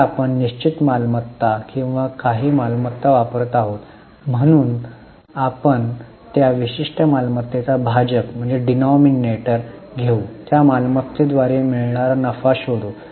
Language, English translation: Marathi, Now we are using fixed assets or some any asset so we can take that particular asset in the denominator and find out the profit generated by that asset